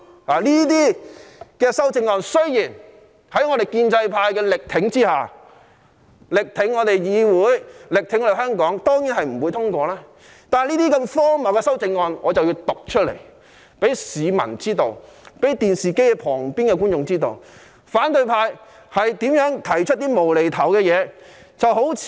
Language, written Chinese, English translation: Cantonese, 這些修正案在我們建制派力挺議會、力挺香港下，當然不會獲得通過，但我一定要讀出這些荒謬的修正案，讓市民、電視機旁的觀眾知道，反對派提出了多麼"無厘頭"的修正案。, As we in the pro - establishment camp are strenuously supporting the legislature and Hong Kong these amendments definitely will not be passed . Yet I must read out these ridiculous amendments so that members of the public and audience in front of the television will know what nonsense amendments the opposition camp has proposed